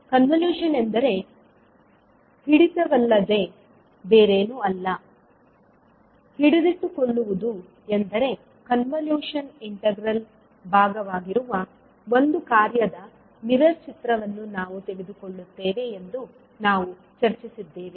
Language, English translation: Kannada, We discussed that convolution is nothings but holding, holding means we take the mirror image of one of the function which will be part of the convolution integral